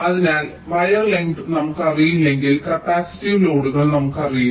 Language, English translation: Malayalam, so unless we know the wire lengths, we do not know the capacitive loads